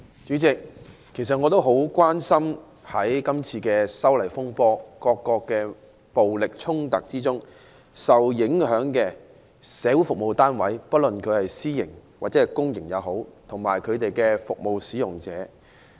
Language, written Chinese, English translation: Cantonese, 主席，我很關心在今次修例風波的暴力衝突中受影響的社會服務單位，不論是私營或公營的，我也關心有關的服務使用者。, President I am concerned about the social service units affected by the violent confrontations arising from the opposition to the proposed legislative amendments . Regardless of whether such units are in the public sector or the private sector I am concerned about their service users